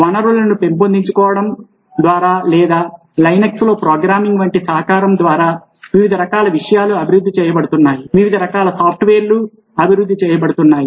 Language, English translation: Telugu, because a lot of very exciting and interesting things happen, either through the sharing of resources or through collaborative, like programming on linux, different kinds of things being developed, different kinds of software being developed